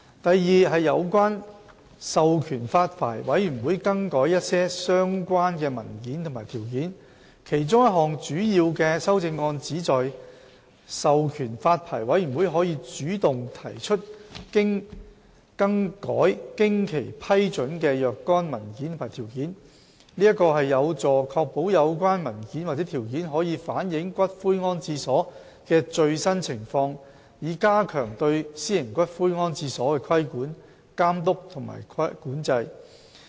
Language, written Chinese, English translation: Cantonese, b 有關授權發牌委員會更改一些相關文件和條件其中一項主要修正案，旨在授權發牌委員會可主動提出更改經其批准的若干文件和條件，這有助確保有關文件或條件可反映有關骨灰安置所的最新情況，以加強對私營骨灰安置所的規管、監督和管制。, b Empowering the Licensing Board to vary some related documents and conditions One of the major amendments seeks to empower the Licensing Board to take the initiative to propose variation of certain documents and conditions approved by the Licensing Board which help ensure that the related documents or conditions can reflect the latest situation of the columbarium concerned so as to enhance the regulation supervision and control of private columbaria